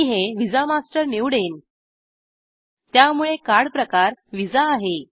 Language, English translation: Marathi, I will choose this visa master, So card type is Visa